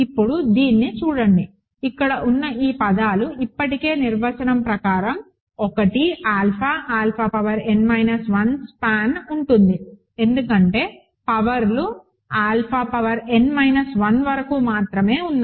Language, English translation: Telugu, Now, look at this, these terms here are already in the span of by just the definition there in the span of a 1, alpha, alpha power n minus 1, right, because only powers there are up to alpha power n minus 1 the coefficients are already in F